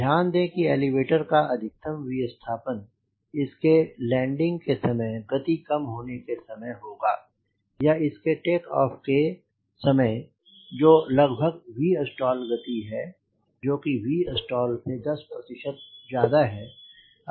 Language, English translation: Hindi, please understand the elevator maximum deflection we will be required if there, during landing, if that is a low speed, all during takeoff, which is also almost v stall speed equal to v stall, ten percent more than v stall